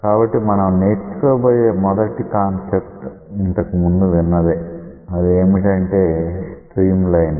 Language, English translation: Telugu, So, the first concept that we will learn is something which you have heard of earlier and that is the concept of a stream line